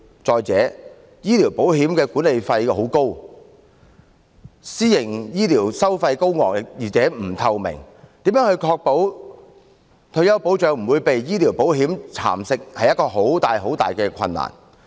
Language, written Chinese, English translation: Cantonese, 再者，醫療保險的管理費很高，私營醫療收費高昂而且不透明，如何確保退休保障不會被醫療保險蠶食，實在非常困難。, Furthermore the management fees of medical insurance are very expensive whereas the charges of private health care services are expensive and non - transparent . It is very difficult to ensure that our retirement protection will not be eroded by medical insurance